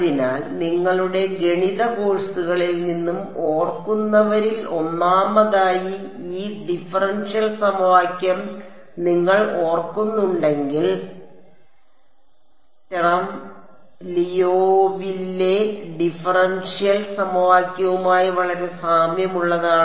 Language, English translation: Malayalam, So, first of all those of you who remember from your math courses, this differential equation looks very similar to the Sturm Liouville differential equation if you remember it